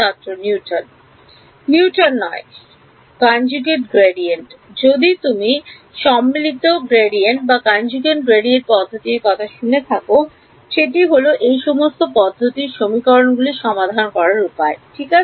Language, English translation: Bengali, Not Newton, conjugate gradient if you heard about conjugate gradient method is a way of solving system of equations ok